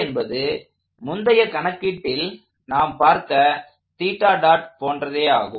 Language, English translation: Tamil, We know that from the previous calculation